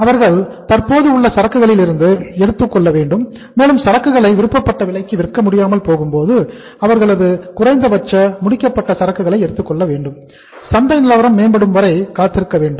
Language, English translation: Tamil, They have to take out from the existing inventory and even if they are not able to get sell that inventory at the desired price then they have to say take out the minimum uh finished goods from the inventory also and they should wait for that when the market improves